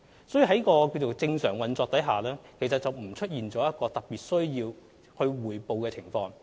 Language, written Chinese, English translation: Cantonese, 因此，鐵路的運作正常，並無出現任何特別需要匯報的情況。, The operation of the railway line is normal and there is no particular area which require reporting